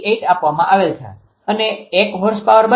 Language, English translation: Gujarati, 88 and one horse power is equal to 0